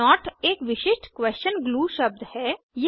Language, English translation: Hindi, not is a special question glue word